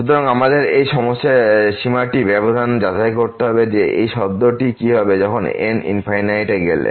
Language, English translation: Bengali, So, we have to carefully check this limit that what will happen to this term when goes to infinity